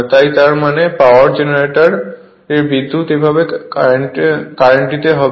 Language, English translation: Bengali, So; that means, your power generator the power will flow like this